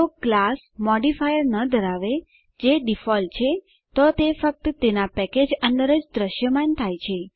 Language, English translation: Gujarati, If a class has no modifier which is the default , it is visible only within its own package